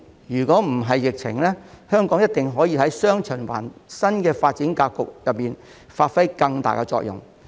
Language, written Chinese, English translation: Cantonese, 若不是疫情，香港一定可以在"雙循環"新發展格局中發揮更大的作用。, If there had not been the pandemic Hong Kong would definitely have played a bigger role in the new development pattern of dual circulation